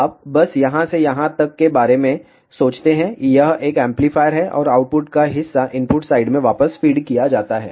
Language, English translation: Hindi, You just think about from here to here, this is an amplifier and part of the output is fed back to the input side